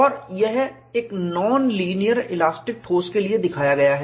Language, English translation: Hindi, You could extend this for non linear elastic solid